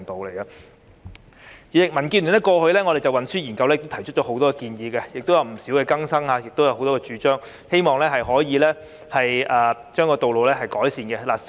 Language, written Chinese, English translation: Cantonese, 代理主席，民建聯過去就運輸研究提出了很多建議，亦有不少更新，希望可以改善道路情況。, Deputy President in the past the Democratic Alliance for the Betterment and Progress of Hong Kong has made many proposals and updated quite a number of them with a view to improving the road conditions